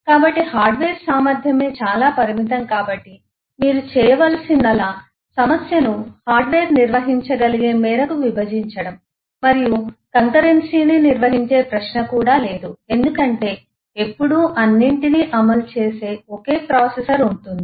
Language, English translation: Telugu, So, the hardware capacity itself was very limited so all that you needed to do is to divide that problem to the extent that the hardware can handle and eh also there is no question of handling concurrency because there was always just one single processor executing everything